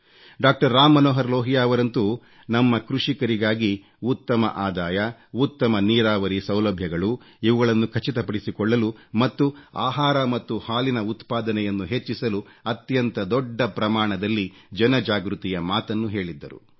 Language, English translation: Kannada, Ram Manohar Lal ji had talked of creating a mass awakening on an extensive scale about the necessary measures to ensure a better income for our farmers and provide better irrigation facilities and to increase food and milk production